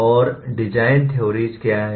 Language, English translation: Hindi, That is the nature of design theories